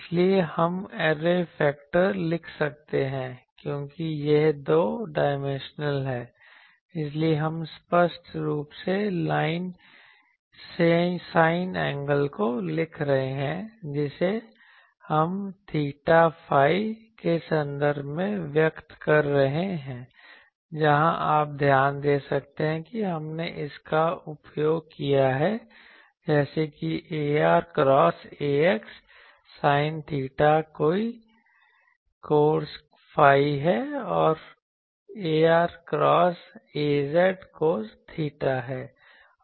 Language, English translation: Hindi, So, we can written the array factor since it is two dimensional, so we are writing explicitly the sin angle that we are expressing in terms of theta phi, where you can note that we have used this that a r cross a x is sin theta cos phi, and a r cross a z